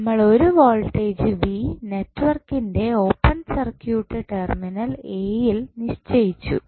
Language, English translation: Malayalam, Now, disconnect the network be defined a voltage V open circuit across the terminal of network A